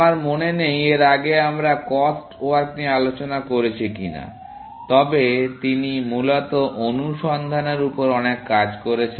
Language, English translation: Bengali, I do not remember, whether we have discussed cost work earlier, but he has done a lot of work in search, essentially